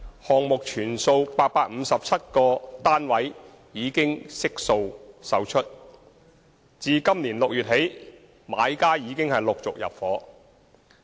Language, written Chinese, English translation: Cantonese, 項目全數857個單位已悉數售出，自今年6月起，買家已陸續入伙。, All 857 flats of the project were sold . From June 2017 onwards flat buyers have gradually moved in